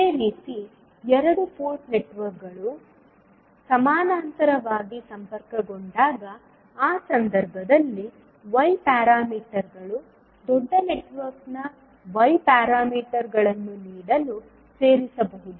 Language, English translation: Kannada, Similarly, in the case when the two port networks are connected in parallel, in that case Y parameters can add up to give the Y parameters of the larger network